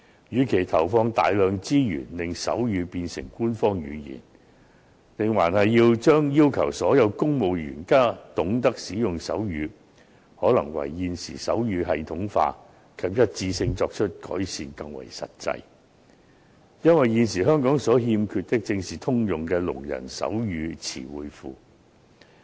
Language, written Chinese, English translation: Cantonese, 與其投放大量資源令手語變成官方語言，要求所有公務員皆懂得使用手語，倒不如更為實際地加強現時手語的系統化及一致性。因為，現時香港所欠缺的，正是通用的聾人手語詞彙庫。, Instead of spending a lot of resources on making sign language an official language and requiring all civil servants to acquire the language it would be more practical to spend the resources on making sign language more systematic and standardized because a universal database on sign language terms is what is missing in Hong Kong now